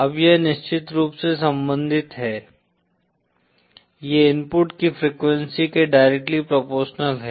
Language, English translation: Hindi, Now this of course is related to the, is directly proportional to the frequency of input